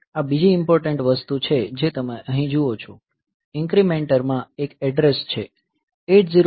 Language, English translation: Gujarati, So, this is another important thing that you see here there is an address in incrementer